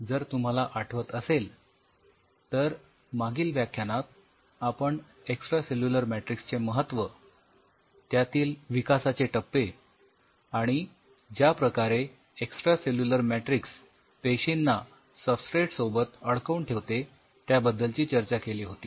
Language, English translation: Marathi, If you recollect in the last week, while we were discussing about the role of extracellular matrix we talked about the kind of developmental aspects and the way the extracellular matrix anchors the cells on the substrate